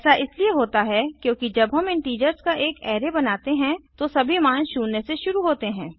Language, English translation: Hindi, This is because when we create an array of integers, all the values are initialized to 0